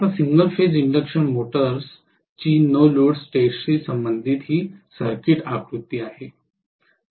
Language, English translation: Marathi, Now, this is the circuit diagram corresponding to the single phase induction motors no load test